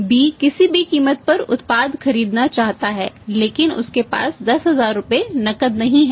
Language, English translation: Hindi, B want to buy the product at any cost but he does not have that 10000 rupees in cash in hand